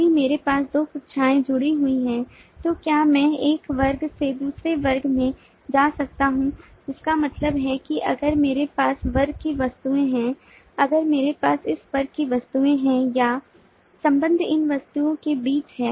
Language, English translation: Hindi, that is, if i have two classes associated, then how can i go from one class to the other, which means if i have objects of this class, the association or the relationship is between this objects